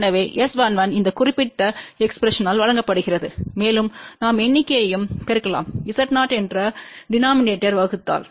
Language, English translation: Tamil, So, S 11 is given by this particular expression and we can multiply numerator and denominator by the term Z 0